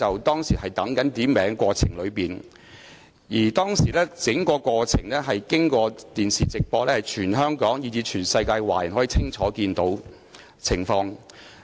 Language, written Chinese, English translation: Cantonese, 當時，在傳召鐘響起期間的整個過程由電視直播，全香港以至全世界華人均可清楚看見有關情況。, At that time while the summoning bell was ringing the whole proceedings were broadcast live on the television . Chinese people across the territory and around the world could see clearly what happened then